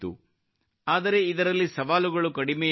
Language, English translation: Kannada, But there were no less challenges in that too